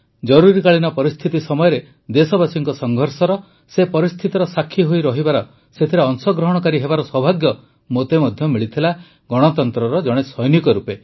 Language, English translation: Odia, During the Emergency, I had the good fortune to have been a witness; to be a partner in the struggle of the countrymen as a soldier of democracy